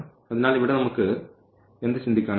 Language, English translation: Malayalam, So, what we can think here